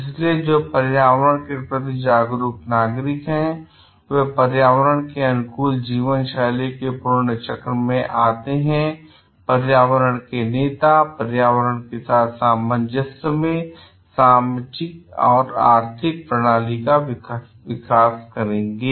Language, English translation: Hindi, So, who are environmentally conscious citizens are those who adopt virtuous cycle of environmentally friendly lifestyles and environmental leaders would develop socioeconomic system in harmony with the environment